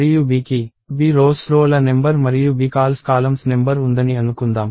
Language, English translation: Telugu, And let us assume that, B has bRows number of rows and bCols number of columns